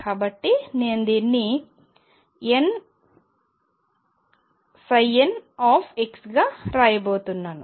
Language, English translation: Telugu, So, I am going to write this as n psi l x